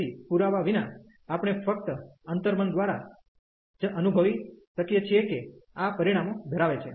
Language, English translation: Gujarati, So, without the proof we can just by intuition, we can feel that these results hold